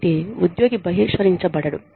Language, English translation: Telugu, So, that the employee is not ostracized